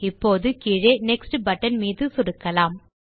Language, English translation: Tamil, Now let us click on the Next button at the bottom